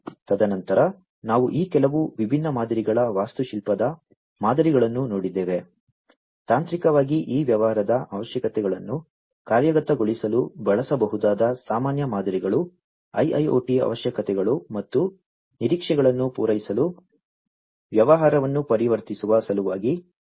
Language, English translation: Kannada, And then we have seen at some of these different patterns architectural patterns, the common patterns that could be used in order to implement technically implement these business requirements into action implement, those in order to transform the business to satisfy the IIoT requirements and expectations